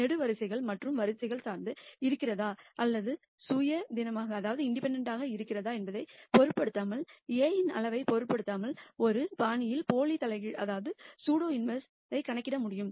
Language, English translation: Tamil, And as long as we can calculate the pseudo inverse in a fashion that irrespective of the size of A, irrespective of whether the columns and rows are dependent or independent